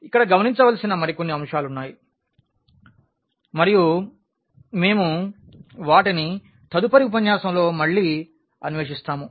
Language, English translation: Telugu, There are a few more points to be noted here and we will explore them in the next lecture again